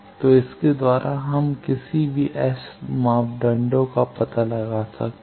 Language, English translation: Hindi, So, by this we can do find out the any S parameter